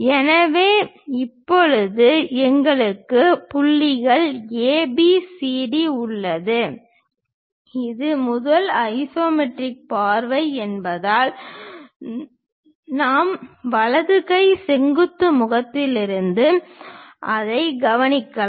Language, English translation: Tamil, So, now, we have points ABCD and this is the first isometric view because we are observing it from right hand vertical face